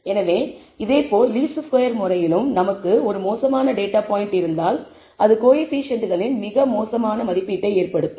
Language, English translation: Tamil, So, similarly in the method of least squares if we have one bad data point, it can result in a very poor estimate of the coefficients